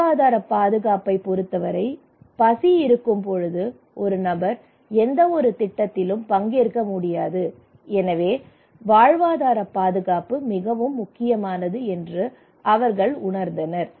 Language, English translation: Tamil, So livelihood security, they feel that when I am hungry I cannot participate in any projects so livelihood security is critical